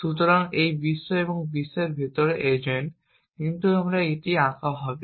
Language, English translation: Bengali, So, this is world and the agent inside the world, but will draw it here